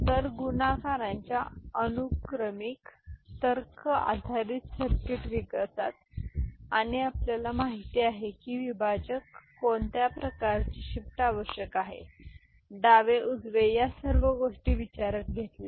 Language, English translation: Marathi, So, in sequential logic based circuit development of multiplier and you know, divider the kind of shift is required, left right these are all taken into consideration ok